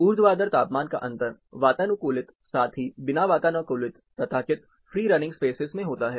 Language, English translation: Hindi, Vertical temperature difference, occurs both in air conditioned, as well as unair conditioned, non air conditioned or so called free running spaces